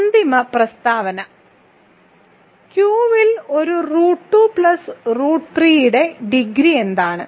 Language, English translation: Malayalam, And one final statement: what is the degree of root 2 plus root 3 over which is a real number over Q